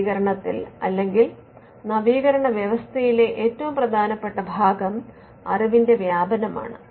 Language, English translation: Malayalam, The most important part in innovation or in an innovation ecosystem is diffusion of knowledge